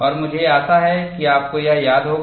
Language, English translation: Hindi, I hope you have done that